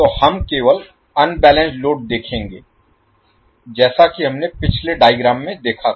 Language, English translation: Hindi, So we will see only the unbalanced load as we saw in the previous figure